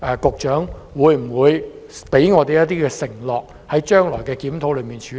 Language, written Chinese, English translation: Cantonese, 局長會否向我們承諾，在將來的檢討中予以處理？, Will the Secretary promise Members that these issues will be addressed in the future review?